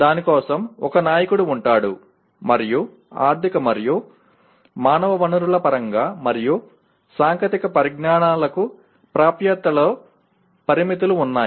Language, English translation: Telugu, There will be a leader for that and there are constraints in terms of financial and human resources and access to technologies